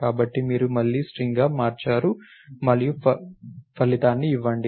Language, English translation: Telugu, So, you after again converted back to string and give the result